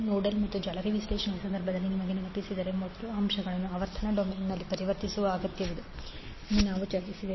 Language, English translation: Kannada, If you remember in case of the nodal n mesh analysis we discussed that first the elements need to be converted in frequency domain